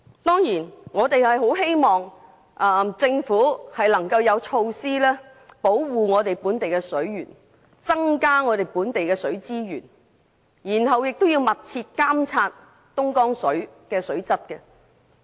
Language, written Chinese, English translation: Cantonese, 我們當然希望政府能提出措施，保護本地水源，增加本地水資源，並密切監察東江水的水質。, We naturally hope that the Government can roll out measures to protect and increase local water sources and to closely monitor the quality of Dongjiang River water